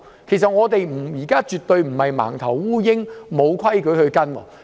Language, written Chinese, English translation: Cantonese, 其實我們現在絕非像"盲頭烏蠅"般，沒有規矩可循。, As a matter of fact we are definitely not acting in an ill - informed manner without any rules to follow